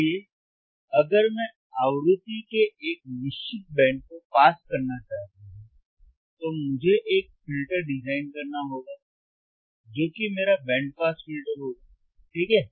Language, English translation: Hindi, So, if I want to pass a certain band of frequency, then I hadve to design a filter which is which will be my band pass filter, right